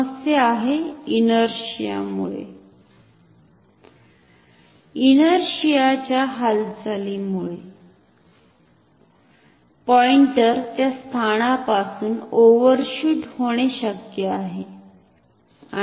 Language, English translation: Marathi, The problem is that due to inertia, due to the moment of inertia the pointer may overshoot that position